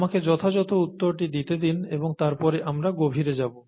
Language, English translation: Bengali, Let me give you the answer right away, and then dig deeper